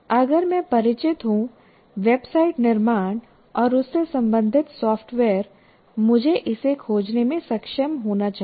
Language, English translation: Hindi, Because if I'm familiar with the subject of website creation and the software related to that, I should be able to find this